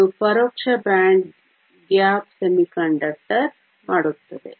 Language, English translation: Kannada, This makes it an indirect band gap semiconductor